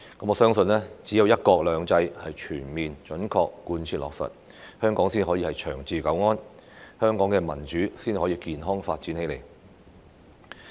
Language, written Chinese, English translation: Cantonese, 我相信只有"一國兩制"全面準確貫徹落實，香港才可以長治久安，香港的民主才可以健康發展起來。, I believe it is only when one country two systems is fully and accurately implemented that Hong Kong may enjoy long - term stability and safety and democracy can develop in a healthy manner in Hong Kong